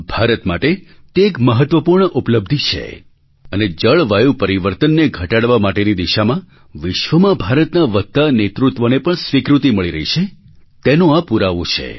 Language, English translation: Gujarati, This is a very important achievement for India and it is also an acknowledgement as well as recognition of India's growing leadership in the direction of tackling climate change